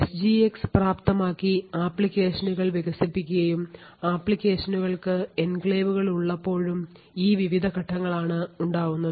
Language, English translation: Malayalam, So, these are the various steps involved when applications are developed with SGX enabled and the applications have enclaves